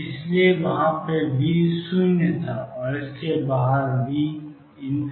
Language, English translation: Hindi, So, the here V was 0 and outside it was infinity